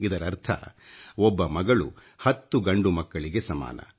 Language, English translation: Kannada, This means, a daughter is the equivalent of ten sons